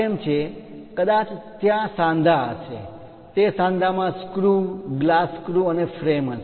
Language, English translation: Gujarati, Perhaps there will be joints those joints might be having screws glass screws and frame